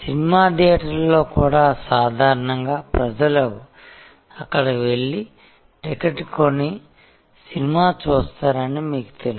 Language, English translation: Telugu, In movie theater also normally you know people just go there buy a ticket and see the movie